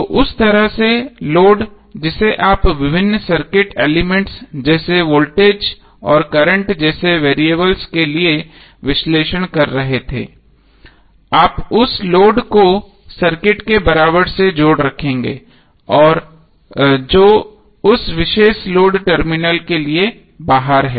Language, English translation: Hindi, So in that way the load which you are analyzing for various circuit elements like the variables like voltage and current, you will keep that load connected with the equivalent of the circuit which is external to that particular load terminal